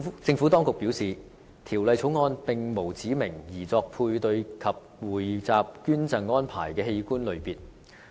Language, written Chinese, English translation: Cantonese, 政府當局表示，《條例草案》並無指明擬作配對及匯集捐贈安排的器官類別。, The Administration has stated that the Bill does not specify the types of organs intended for a paired or pooled donation arrangement